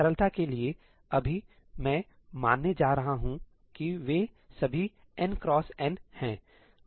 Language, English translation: Hindi, For simplicity, right now, I am going to assume that they are all n cross n